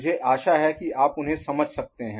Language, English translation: Hindi, I hope you could assimilate them